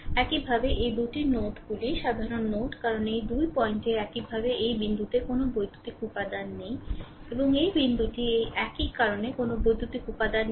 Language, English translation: Bengali, Similarly, this 2 nodes are common node, because there is no electrical element in between this 2 similarly this this point and this point it is same right because no electrical element is there